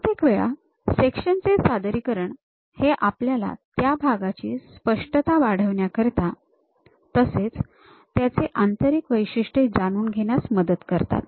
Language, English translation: Marathi, Usually this sections representation helps us to improve clarity and reveal interior features of the parts